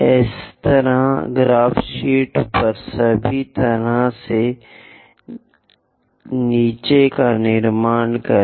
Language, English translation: Hindi, Similarly, construct on the graph sheet all the way down